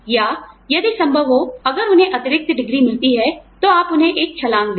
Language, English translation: Hindi, Or if possible, if they get an additional degree, then you give them a jump